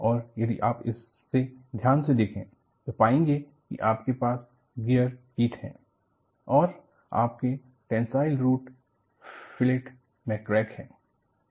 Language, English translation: Hindi, And, if you watch it carefully, you know, you have a gear teeth and you have a crack in the tensile root fillet